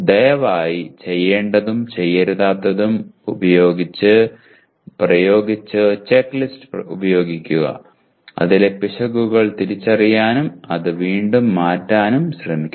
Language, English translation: Malayalam, Please apply the do’s and don’ts and use the checklist and try to identify the errors in this and reword the same